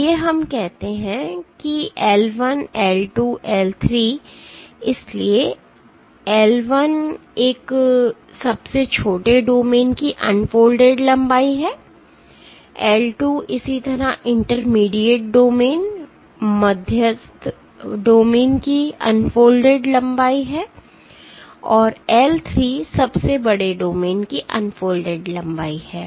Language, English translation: Hindi, So, L l one is the unfolded length of smallest domain, L 2 is similarly the unfolded length of intermediate domain and L 3 is unfolded length of longest largest domain